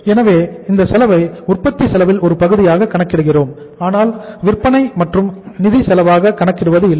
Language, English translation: Tamil, So we account this cost as the part of the cost of production but not the selling and the financial cost